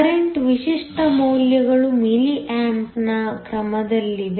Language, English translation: Kannada, Typical values of the current are of the order of milli amps